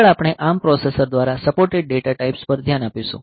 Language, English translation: Gujarati, Next we will look into the data types that are supported by this a ARM processor